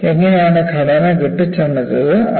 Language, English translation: Malayalam, How the structure has been fabricated